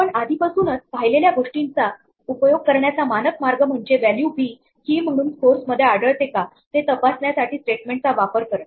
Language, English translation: Marathi, A standard way to do this in using what we have already seen, is to use the command the the statement in to check whether the value b already occurs as a key in scores